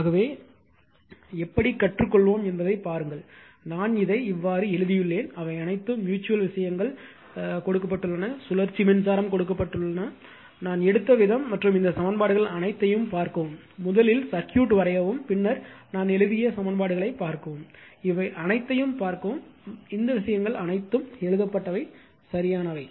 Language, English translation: Tamil, So, see how are you at least you will learn that, how I have written this all mutual things are given, they are cyclic current is given, the way I have taken right and just see this all this equations, I have written for you just see the circuit draw the circuit first, then you see the equations how I have written right and see all these things all these things written everything is actually correct